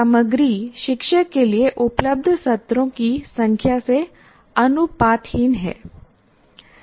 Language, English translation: Hindi, Content is disproportionate to the number of sessions that are available to the teacher